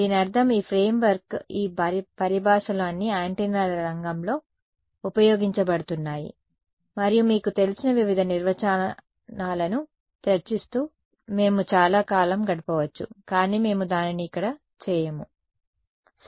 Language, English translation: Telugu, This, I mean this framework these terminologies they are all used in the field of antennas ok, and we can spend a long time discussing various definitions you know, but we shall not do that here ok